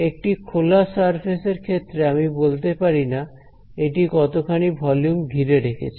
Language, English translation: Bengali, So, an open surface, I cannot talk about how much volume it encloses right